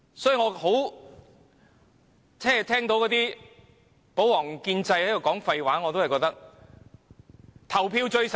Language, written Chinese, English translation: Cantonese, 與其聆聽保皇黨及建制派的廢話，我覺得還是投票最實際。, Instead of listening to the nonsense made by the royalist and pro - establishment camps I think the most pragmatic approach is to put the matter to vote